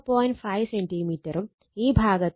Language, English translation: Malayalam, 5 centimeter this side also 0